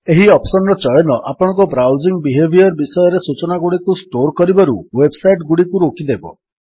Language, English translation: Odia, Selecting this option will stop websites from storing information about your browsing behavior